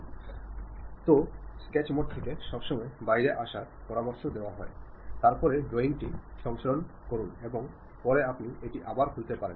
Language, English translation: Bengali, So, it is always recommended to come out of sketch mode, then save the drawing, and later you you you can reopen it